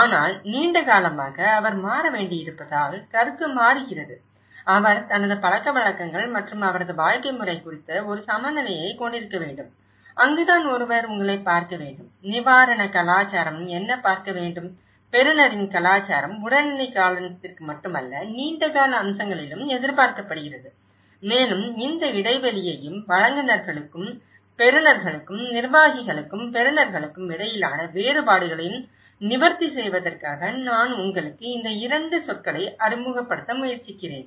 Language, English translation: Tamil, But in a longer run, the perception changes because he need to maintain, he need to have a balance on his customs and his way of life and that is where one has to look at you know, what the relief culture has to look at, what the recipient culture is expecting also not only in the immediate term but in a long run aspects and in order to address this gap and the differences between the providers and the recipients or the administrators and the recipients so, I will try to introduce you in this 2 terminologies